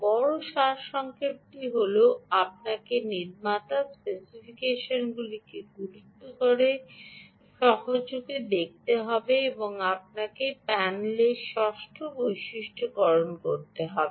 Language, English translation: Bengali, big summary is you have to take the specification of the manufacturer seriously and you have to do a v